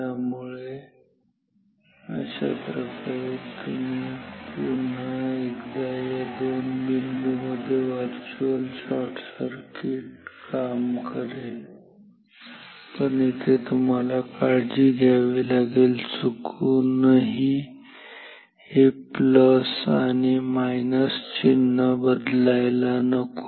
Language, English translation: Marathi, So, this way once again the virtual shorting between these 2 points will work, but now note of caution is that if you by chance by mistake swap this plus minus symbols ok